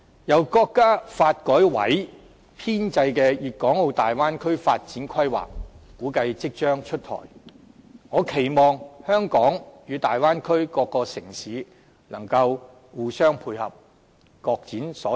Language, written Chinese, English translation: Cantonese, 由國家發展和改革委員會編製的《粵港澳大灣區發展規劃》估計即將出台，我期望香港與大灣區各個城市能互相配合、各展所長。, The Development Plan for the Guangdong - Hong Kong - Macao Greater Bay Area compiled by the National Development and Reform Commission is about to be released . I expect that Hong Kong and the various cities of the Bay Area can coordinate with each other and give full play to their potentials